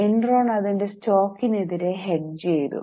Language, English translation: Malayalam, There was hedging done by Enron against its own stock